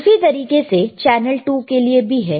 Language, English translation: Hindi, Now, similarly for channel 2, all right,